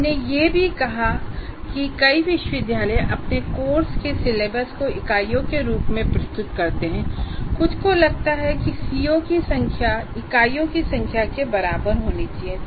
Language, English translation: Hindi, And this we have also stated, so there are as many universities present their syllabus as a course as units, some feel that the number of C O should be exactly equal to number of units